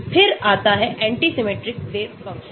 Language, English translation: Hindi, then comes anti symmetric wave function